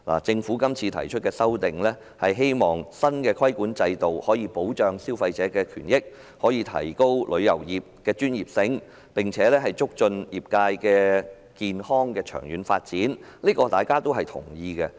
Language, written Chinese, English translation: Cantonese, 政府提出《條例草案》，是希望新規管制度能夠保障消費者權益，提升旅遊業的專業，並且促進業界健康而長遠發展，這些目的大家都認同。, The Government introduced the Bill in the hope that the new regulatory regime can protect consumers rights enhance the professionalism of the travel industry and promote healthy and long - term development of the trade . Such objectives are approved by all